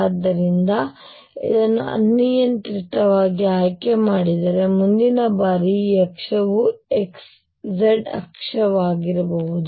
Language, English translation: Kannada, So, if it is chosen arbitrarily the next time this axis could be the z axis